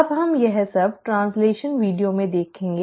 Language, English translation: Hindi, Now we look at all this in translational video